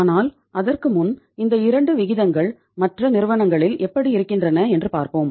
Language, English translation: Tamil, But before that let us see the other companies that how their say these 2 ratios are like